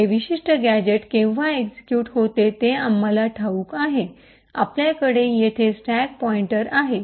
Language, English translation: Marathi, Now as we know when this particular gadget is executing, we have the stack pointer present here